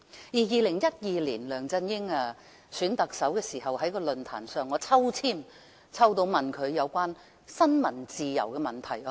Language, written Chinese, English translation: Cantonese, 2012年，梁振英在競選特首時，我曾有機會在選舉論壇上向他提出有關新聞自由的問題。, During LEUNG Chun - yings campaign in the Chief Executive Election in 2012 I had an opportunity to ask him a question about freedom of the press in an election forum